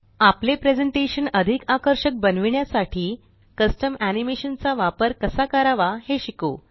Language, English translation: Marathi, Lets learn how to use custom animation to make our presentation more attractive